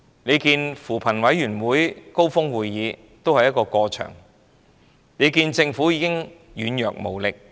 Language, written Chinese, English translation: Cantonese, 試看扶貧委員會高峰會，那只不過是"過場"的安排，政府已經軟弱無力。, The Commission on Poverty Summit is nothing but an arrangement for purely cosmetic purposes and the Government is weak and powerless